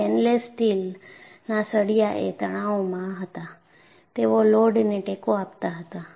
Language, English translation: Gujarati, The stainless steel rods were in tension, they were supporting loads